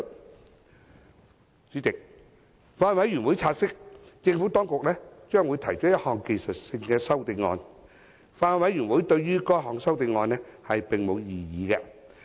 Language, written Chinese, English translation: Cantonese, 代理主席，法案委員會察悉，政府當局將會提出一項技術性的修正案。法案委員會對該項修正案並無異議。, Deputy President the Bills Committee has noted that the Administration will propose a technical amendment and has raised no objection to the amendment